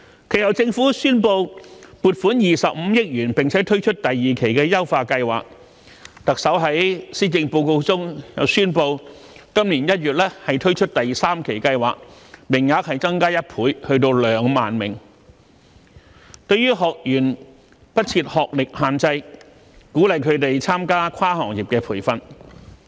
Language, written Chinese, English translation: Cantonese, 其後，政府宣布撥款25億元並推出第二期優化計劃，特首在施政報告中宣布，今年1月推出第三期計劃，名額增加1倍至2萬名，對學員不設學歷限制，鼓勵他們參加跨行業培訓。, Later on the Government announced the allocation of 2.5 billion for the launch of the second tranche of the Scheme . Then the Chief Executive announced in the Policy Address the launch of the third tranche of the Scheme in January this year with the training places doubled to 20 000 . The Scheme does not impose any academic qualification requirement on trainees and encourages them to participate in cross - industry training